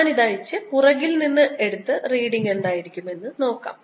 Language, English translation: Malayalam, i'll take this off and take it from behind and see what the reading would be